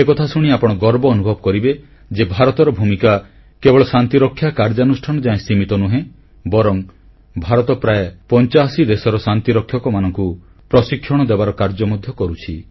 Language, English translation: Odia, You will surely feel proud to know that India's contribution is not limited to just peacekeeping operations but it is also providing training to peacekeepers from about eighty five countries